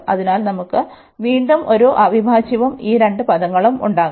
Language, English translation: Malayalam, So, again we will have one integral, and these two terms